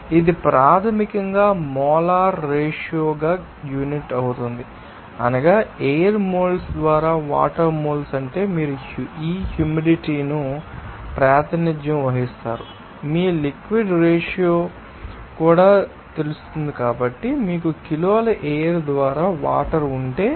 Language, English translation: Telugu, So, it will be basically unit as you know molar ratio that means you are moles of water by moles of air you can represent this humidity in terms of you know mass ratio also so, that will be in case you have water by kg of air